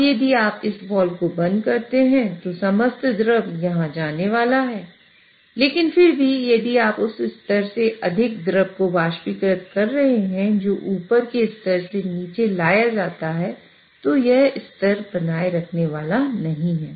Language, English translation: Hindi, Now if you close this wall all the liquid is going to go here but still if you are vaporizing more stuff than what is getting brought down from that level above it is not going to maintain the level